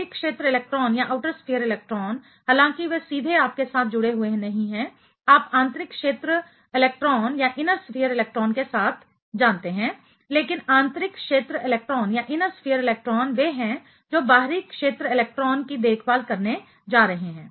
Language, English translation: Hindi, Outer sphere electron although they are not directly attached with the you know with the inner sphere electron, but inner sphere electrons are the one who are going to take care of the outer sphere electron